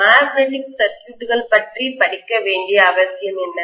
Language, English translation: Tamil, What is the necessity for studying about magnetic circuits